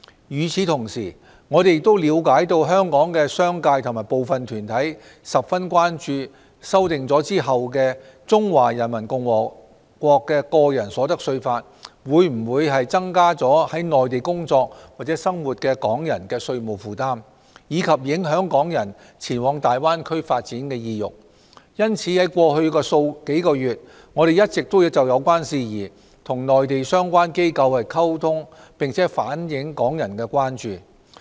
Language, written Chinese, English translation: Cantonese, 與此同時，我們了解香港的商界和部分團體均十分關注修訂後的《中華人民共和國個人所得稅法》會否增加在內地工作或生活的港人的稅務負擔，以及影響港人前往大灣區發展的意欲，因此在過去數月，我們一直就有關事宜與內地相關機構溝通，並反映港人的關注。, At the same time we know that the business sector and some groups are very concerned whether the amended Individual Income Tax Law of the Peoples Republic of China will increase the tax burden on Hong Kong people who work or live in the Mainland and affect Hong Kong peoples desire to develop in the Guangdong - Hong Kong - Macao Greater Bay Area . Therefore we have been communicating with the relevant Mainland authorities on this matter over the past few months to relay the concerns of Hong Kong people